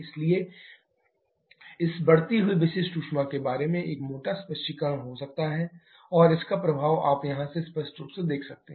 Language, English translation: Hindi, That is what can be a rough explanation about this increasing specific heat for this and effect of that you can clearly see from here